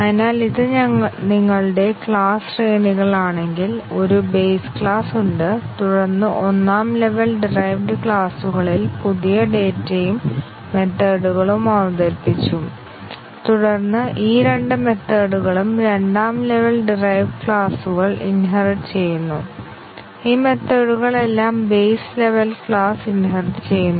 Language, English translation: Malayalam, So, if this is your class hierarchy, there is a base class and then in the first level derived classes new data and methods are introduced and then both of these methods are inherited by the second level derived classes and all the methods that are inherited by these base level classes; leaf level classes all have to be retested